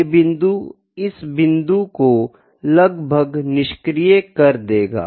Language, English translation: Hindi, This point would cancel this point approximately